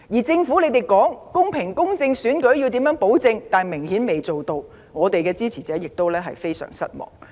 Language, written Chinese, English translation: Cantonese, 政府聲稱會保證選舉公平公正，卻顯然做不到，也令我們的支持者非常失望。, The Government has said that it would ensure that the elections would be fair . It has clearly failed to do this . Our supporters are also very disappointed about this